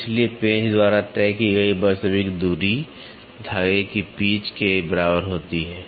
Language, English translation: Hindi, Therefore, the actual distance moved by the screw is equal to the pitch of the thread